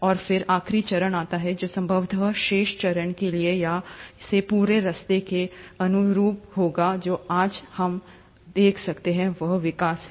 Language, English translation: Hindi, And then, comes the last phase which would probably correspond to the rest of the phase all the way from here till what we see present today, is the evolution